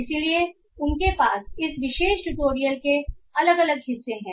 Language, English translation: Hindi, So, they have different parts to this particular tutorial